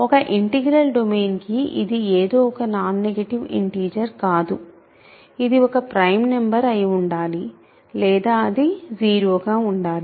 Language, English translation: Telugu, So, for an integral domain it cannot be any arbitrary non negative integer; it has to be either a prime number or it has to be; it has to be 0